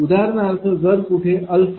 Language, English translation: Marathi, For example, alpha is equal to say 1